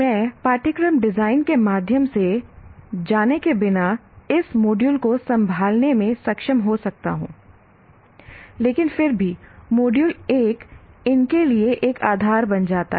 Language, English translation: Hindi, I may be able to handle this module without going through course design but still module one becomes a prerequisite for this